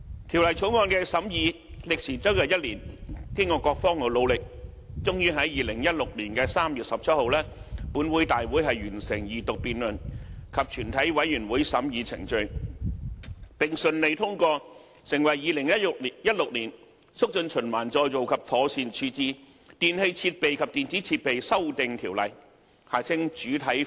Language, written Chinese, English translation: Cantonese, 《條例草案》的審議歷時將近1年，經過各方努力，終於在2016年3月17日的立法會會議完成二讀辯論及全體委員會審議階段，並順利通過成為《2016年促進循環再造及妥善處置條例》。, After one year of scrutiny and thanks to efforts by all parties the Bill finally received its Second Reading and passed through Committee at the Legislative Council meeting on 17 March 2016 and was enacted as the Promotion of Recycling and Proper Disposal Amendment Ordinance 2016